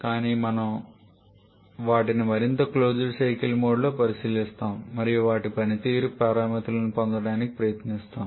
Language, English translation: Telugu, But we shall be considering them in more closed cycle mode and trying to get their performance parameters